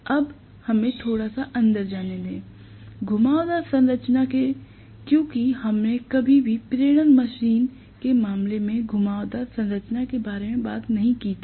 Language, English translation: Hindi, Now, let us go a little bit into, you know the winding structure because we never talked about winding structure in the case of induction machine as well